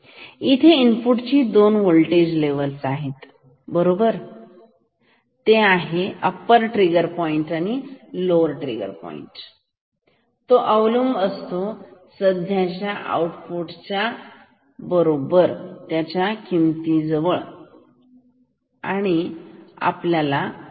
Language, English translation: Marathi, This one compares the input with 2 voltage levels upper trigger point and lower trigger point depending on the current value of output ok